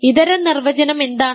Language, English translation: Malayalam, What is an alternate definition